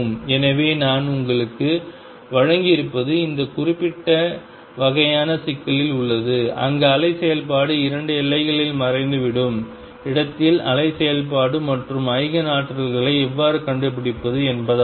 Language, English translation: Tamil, So, what I have given you is in this very specific kind of problem where the wave function vanishes at the 2 boundaries how to find the wave function and the Eigen energies